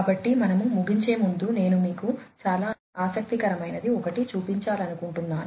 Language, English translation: Telugu, So, before we end I wanted to show you something very interesting